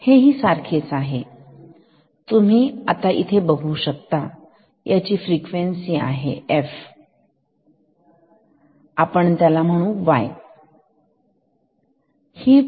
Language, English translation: Marathi, Now, you can give the in this input here f so, this frequency y